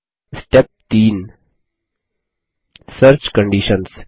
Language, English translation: Hindi, Step 3 Search Conditions